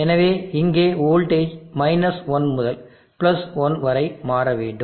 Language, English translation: Tamil, Therefore, the voltage here shows to swing from 1 to +1